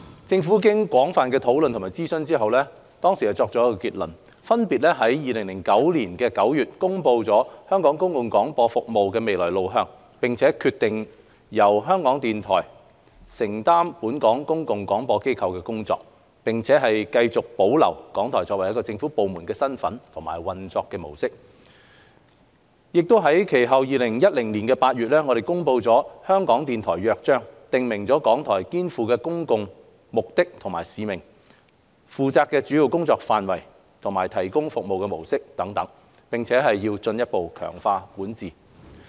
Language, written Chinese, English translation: Cantonese, 政府經廣泛討論及諮詢後作出結論，分別於2009年9月公布香港公共廣播服務的未來路向，決定由香港電台承擔本港公共廣播機構的工作，並繼續保留港台作為一個政府部門的身份和運作模式，並其後於2010年8月公布《香港電台約章》，訂明港台肩負的公共目的及使命、負責的主要工作範圍及提供服務的模式等，並進一步強化管治。, After extensive discussion and consultation the Government made its decisions on the matter . In September 2009 the Government announced the way forward for Hong Kongs public service broadcasting and decided that Radio Television Hong Kong RTHK would undertake the work of Hong Kongs public service broadcaster and maintain its status as a government department . Subsequently in August 2010 the Government promulgated the Charter of RTHK which specifies the public purposes and mission of RTHK the key programme areas of activities undertaken by RTHK and the modes of service delivery thereby strengthening RTHKs governance